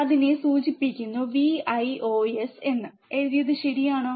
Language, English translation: Malayalam, And it is denoted by Vios, alright